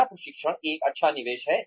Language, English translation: Hindi, Is training, a good investment